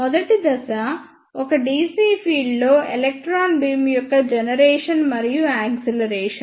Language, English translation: Telugu, Phase one is generation and acceleration of electron beam in a dc field